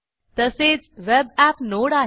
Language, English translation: Marathi, We also have a web app node